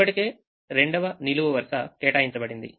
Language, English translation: Telugu, second column is already assigned